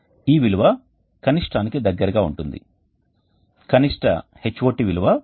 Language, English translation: Telugu, 99 and the value is close to the minimum the value of the minimum HOT is 9